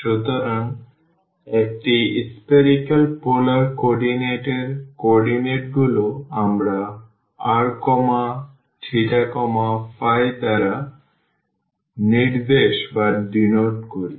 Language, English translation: Bengali, So, the coordinates in a spherical polar coordinates we denote by r theta and phi